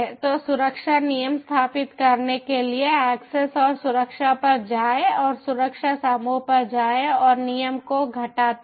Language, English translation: Hindi, so, for setting up the security rule, go to the access and security and go to the security group and minus the rule